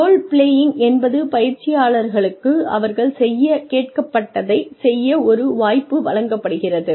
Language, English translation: Tamil, Role playing is, the trainees are given a chance to actually do, what they have been asked to do